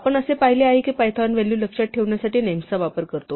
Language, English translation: Marathi, We have seen now that python uses names to remember values